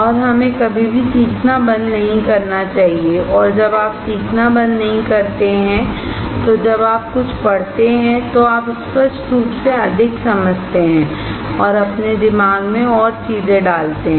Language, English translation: Hindi, And we should never stop learning, and when you never stop learning, when you read something, you understand more clearly, and put more things in your brain